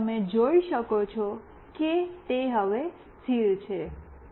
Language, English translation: Gujarati, And you can see that it is now stable